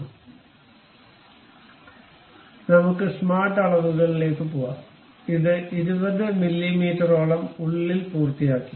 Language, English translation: Malayalam, So, let us go smart dimensions pick this one, inside supposed to be 20 mm, done